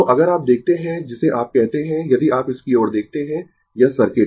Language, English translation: Hindi, So, if you look into your what you call your if you look into this one your this circuit